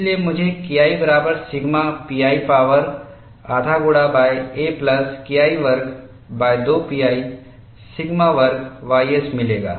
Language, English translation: Hindi, So, I will get K 1 equal to sigma pi power half multiplied by a plus K 1 square divided by 2 pi sigma square ys